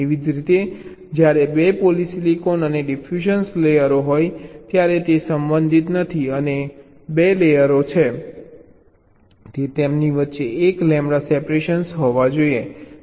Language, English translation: Gujarati, similarly, when there are two polysilicon and diffusion layers, these are not related and the two layers, they must be a one lambda separation between them